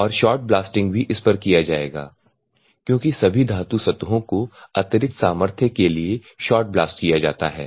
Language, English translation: Hindi, And the shot blasting also will be done on this one because all metal surfaces are shot busted for added strength